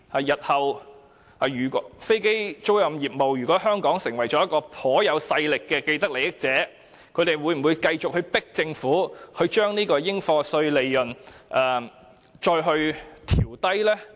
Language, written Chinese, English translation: Cantonese, 如果日後飛機租賃業務在香港成為頗有勢力的既得利益者，他們會否繼續逼迫政府將應課稅利潤調低呢？, In case aircraft leasing operators turn into a strong force having a vested interest in Hong Kong in the future will they keep forcing the Government to lower the profits tax?